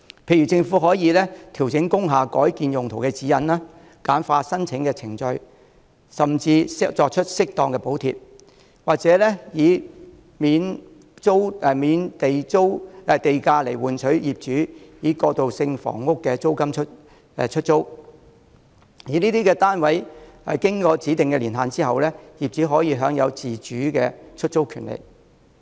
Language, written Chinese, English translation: Cantonese, 例如，政府可調整工廈改建用途的指引，簡化申請程序，甚至提供適當的補貼，或以免補地價來換取業主以過渡性房屋的租金出租單位；而這些單位經過指定的年限後，業主可享自主出租的權利。, For example the Government may adjust the guidelines for the conversion of industrial buildings simplify the application process provide appropriate subsidies or even offer premium exemption in order to encourage owners to rent out their units at transitional housing rentals . Owners may rent their units out as they see fit after a specified period of time